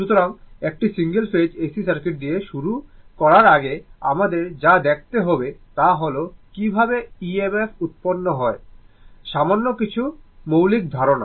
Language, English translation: Bengali, So, before starting with a Single Phase AC Circuit what we have to see is that, you we have to your what you call see that how EMF is generated, little some basic ideas